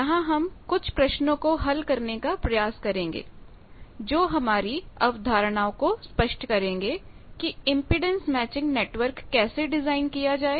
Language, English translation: Hindi, Welcome to the second tutorial of this course, where we will be attempting to solve some problems that will clear our concepts that how to design Impedance Matching Network